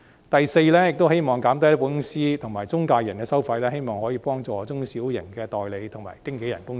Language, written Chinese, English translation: Cantonese, 第四，希望減低保險公司與中介人的收費，以幫助中小型代理和經紀人公司。, Fourth I hope that fees to be levied on insurance companies and intermediaries can be reduced for the benefit of small and medium - sized agents and broker companies